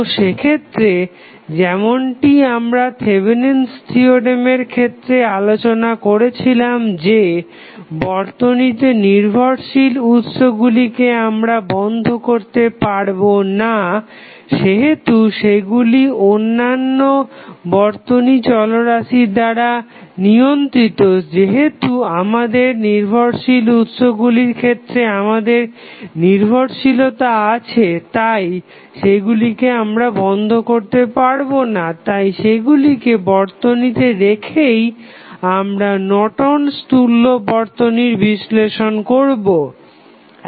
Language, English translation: Bengali, So, in that case, the as with the Thevenin's we discussed previously the Independent sources cannot be turned off as they are controlled by the circuit variables, since we have the dependency in the case of dependent sources, we cannot remove them from the circuit and we analyze the circuit for Norton's equivalent by keeping the dependent sources connected to the circuit